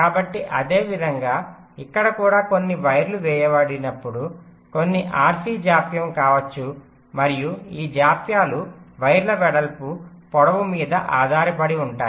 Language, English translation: Telugu, so similarly, here also, when some, some wires are laid out, there can be some rc delays and this delays will be dependent up on the width of the wires, of course, the lengths